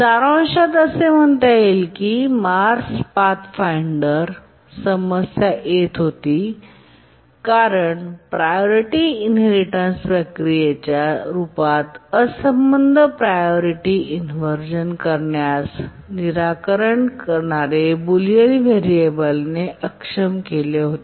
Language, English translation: Marathi, In summary, I can say that the Mars 5th Pathfinder was experiencing problem because the solution to the unbounded priority inversion in the form of a priority inheritance procedure was disabled by the bullion variable